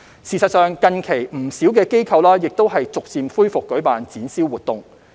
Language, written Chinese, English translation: Cantonese, 事實上，近期不少機構亦逐漸恢復舉辦展銷活動。, In fact quite a number of organizations have gradually resumed holding exhibition and sales activities